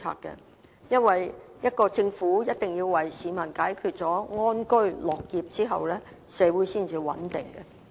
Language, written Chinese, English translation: Cantonese, 原因是，一個政府必須讓市民安居樂業，社會才會穩定。, The reason is that a Government must enable people to live in peace and work happily if it is to maintain social stability